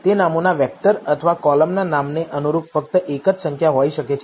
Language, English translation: Gujarati, It can be a vector of names or only a single number corresponding to the column name